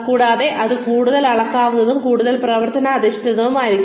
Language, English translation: Malayalam, And then, it will be more measurable, and more action oriented